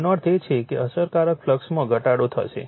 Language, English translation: Gujarati, That means, effective flux will be getting reduced